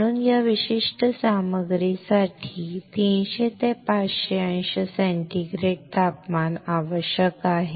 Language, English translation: Marathi, So, this particular material requires a temperature of 300 to 500 degree centigrade